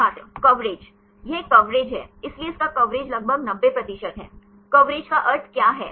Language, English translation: Hindi, coverage It is a coverage; so, its coverage is about, that is 90 percent; what is the meaning of coverage